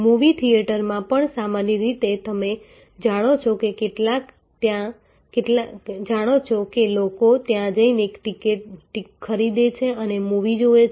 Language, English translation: Gujarati, In movie theater also normally you know people just go there buy a ticket and see the movie